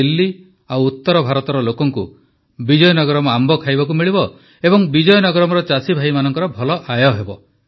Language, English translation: Odia, The people of Delhi and North India will get to eat Vizianagaram mangoes, and the farmers of Vizianagaram will earn well